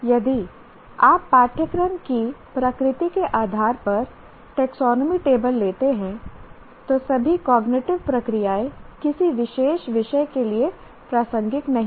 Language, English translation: Hindi, If you take the taxonomy table, what happens depending on the nature of the course, all cognitive processes are not relevant to a particular subject